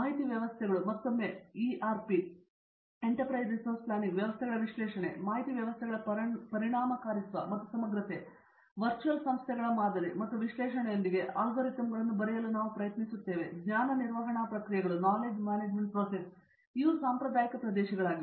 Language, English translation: Kannada, Information systems again, analysis of ERP systems, effectiveness of information systems and integrative; we are trying to come up alogorithms with modeling and analysis of virtual organizations, knowledge management processes these have been the traditional areas